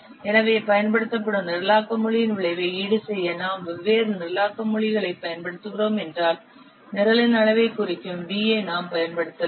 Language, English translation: Tamil, So, if you are using different programming languages in order to compensate the effect of the programming language used, you can use for V which represents the size of the program